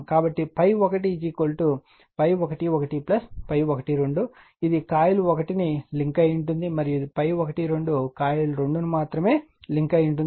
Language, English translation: Telugu, So, phi 1 1 plus phi 12 it links the coil 1, and phi 1 2 only links the coil 2